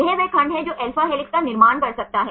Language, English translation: Hindi, This is the segment which can form alpha helix